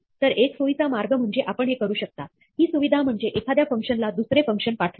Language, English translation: Marathi, So, one useful way in which you can do this, use this facility is to pass a function to another function